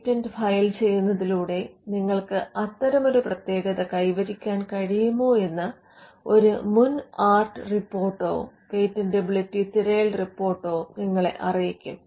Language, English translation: Malayalam, Now a prior art report or a patentability search report will tell you whether you can achieve exclusivity by filing a patent